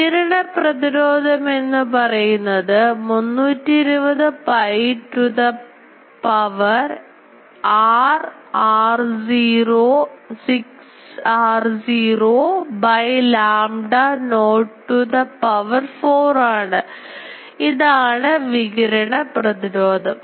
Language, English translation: Malayalam, The radiation resistance is 320 pi to the power 6 r naught by lambda naught to the power 4; so, this is the radiation resistance